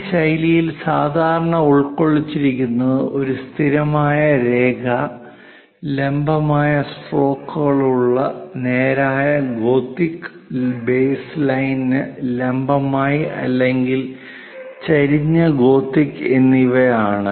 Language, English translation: Malayalam, This style supposed to consist of a constant line, thickness either straight gothic with vertical strokes perpendicular to the base line or inclined gothic